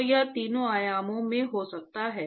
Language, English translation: Hindi, So, it is a it could be in all three dimensions